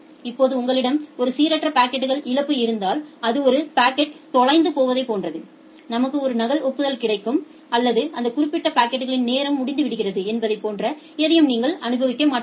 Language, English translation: Tamil, Now, if you have a random packet loss then it is just like that one of the packet will get lost and we will get a single duplicate acknowledgement or you will not experience any time out for that particular packet